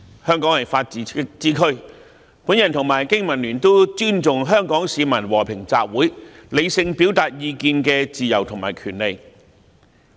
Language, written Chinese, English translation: Cantonese, 香港是法治之都，本人和經民聯都尊重香港市民和平集會，理性表達意見的自由及權利。, Hong Kong is a city which upholds the rule of law the Business and Professionals Alliance for Hong Kong and I respect the freedom and right of Hong Kong people to participate in peaceful assembly and express their views rationally